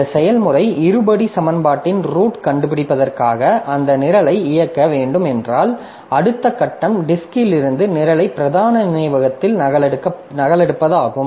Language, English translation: Tamil, So, if this process has to execute that program for finding roots of quadrary equation, then the next step is to copy the program from the disk into the main memory